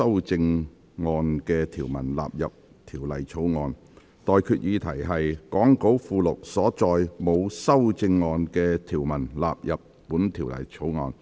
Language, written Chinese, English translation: Cantonese, 我現在向各位提出的待決議題是：講稿附錄所載沒有修正案的條文納入本條例草案。, I now put the question to you and that is That the clauses with no amendment as set out in the Appendix to the Script stand part of the Bill